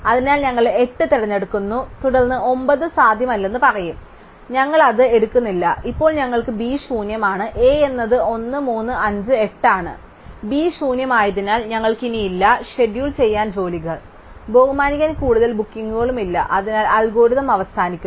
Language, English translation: Malayalam, So, we pick 8 and then we will say that 9 is not feasible, so we do not pick it and now we have the B is empty and A is 1, 3, 5, 8 and since B is empty, we have no more jobs to schedule, no more bookings to honor, so the algorithm ends